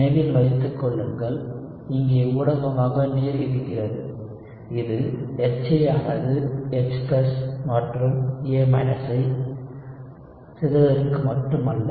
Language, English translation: Tamil, Remember, you also have water in the medium, so it is not just the HA disintegrating to H+ and A–